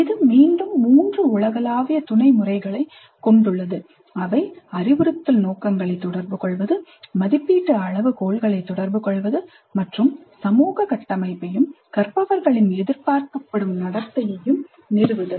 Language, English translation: Tamil, So framing is quite helpful and this has again three universal sub methods, communicate the instructional objectives, communicate assessment criteria and establish the social structure and the expected behavior of the learners